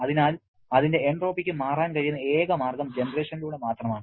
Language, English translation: Malayalam, So, only way its entropy can change is through the generation